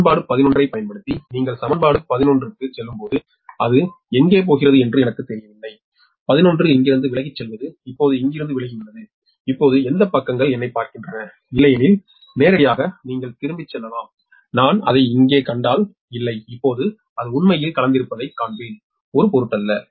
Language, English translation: Tamil, so using equation eleven, that when you go back to the equation eleven i I dont know where it is go on, equation eleven is for away from here, now, right, which suggest: right, if we see if i will get it otherwise directly you can go back, right, ah, ah, just for not, if i find it here, i will see that now it has mixed up, actually doesnt matter